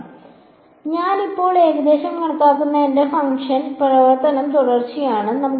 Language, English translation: Malayalam, So, my function that I am approximating now is continuous